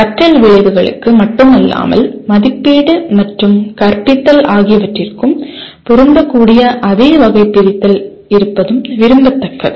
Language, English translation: Tamil, And it is also desirable to have the same taxonomy that is applicable to not only learning outcomes, but also assessment and teaching